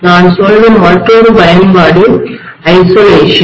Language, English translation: Tamil, Another application I would say is isolation